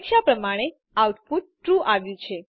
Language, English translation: Gujarati, the output is True as expected